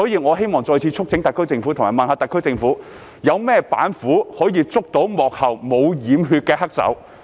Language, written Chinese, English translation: Cantonese, 我想問特區政府有甚麼板斧可以捉拿幕後沒有染血的黑手？, May I ask what tactics the SAR Government will use to arrest the real culprit behind the scene who has kept his hands clean?